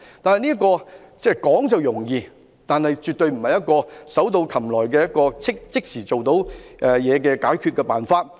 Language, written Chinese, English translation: Cantonese, 可是，這做法說是容易，但絕對不是手到擒來、立竿見影的解決辦法。, However this option which seems easy on paper is definitely not an easily accessible and immediate solution